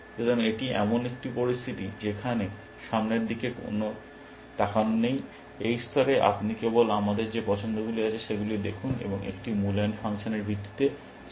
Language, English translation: Bengali, So, this is the situation where a there is no look ahead, except that at this level, you just look at the choices, we have and picking the bests base on a evaluation function